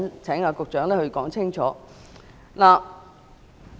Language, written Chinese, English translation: Cantonese, 請局長稍後說清楚。, Will the Secretary please explain clearly later